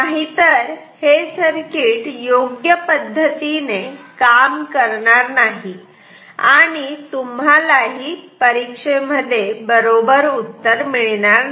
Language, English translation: Marathi, Otherwise the circuit will not work, you will not get correct answers in the exam